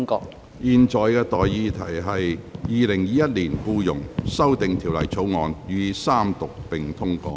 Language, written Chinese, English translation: Cantonese, 我現在向各位提出的待議議題是：《2021年僱傭條例草案》予以三讀並通過。, I now propose the question to you and that is That the Employment Amendment Bill 2021 be read the Third time and do pass